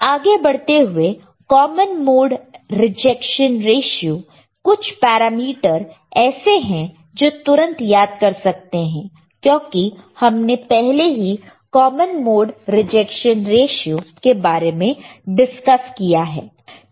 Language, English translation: Hindi, Then we go further common mode rejection ratio some of the parameter you will immediately recall, because we have already discussed common mode rejection ratio